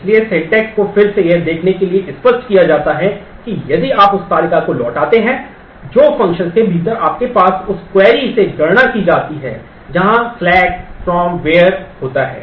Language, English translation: Hindi, So, the syntax is given again its clear to see what will happen if you return a table which is computed from the select from where query that you have within the function